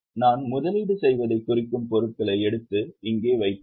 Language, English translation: Tamil, So, just take those items, I means investing and put them here